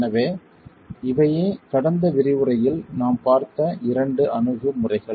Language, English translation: Tamil, So, we have examined those aspects in the previous lecture